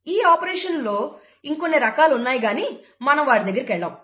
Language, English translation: Telugu, There are other kinds of operation, we will not get into that